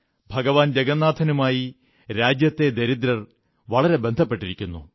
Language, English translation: Malayalam, The underprivileged of the country are deeply connected to Lord Jagannath